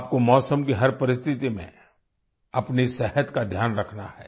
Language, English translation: Hindi, You have to take care of your health in every weather condition